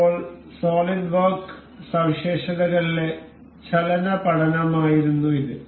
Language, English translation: Malayalam, So, now, this was the motion study in the solidworks features